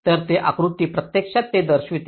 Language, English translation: Marathi, so this diagram actually shows that exactly